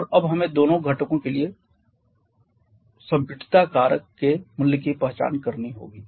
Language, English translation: Hindi, And now we have to identify the value of the compressibility factor for both the components